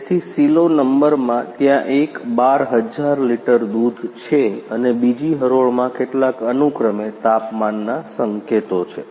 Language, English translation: Gujarati, So, in the in the silo number ones are there is a 12000 litres milk are there and in second row some respectively temperatures indications are there